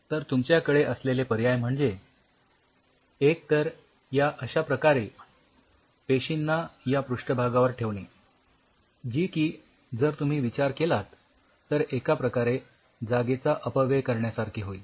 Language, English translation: Marathi, Your options are you have the cells exclusively on the surface like this, which is kind of if you think of it will be a wastage of space